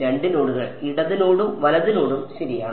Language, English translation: Malayalam, 2 nodes: a left node and a right node ok